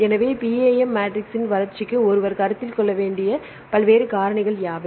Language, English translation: Tamil, So, what are the various factors one has to consider for the development of PAM matrix